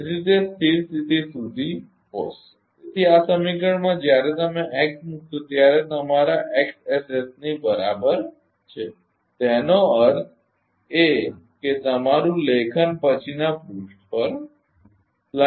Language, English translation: Gujarati, So, it will resist to restore to the steady state therefore, in this equation when you put x is equal to your x s s; that means, your ah writing on the next page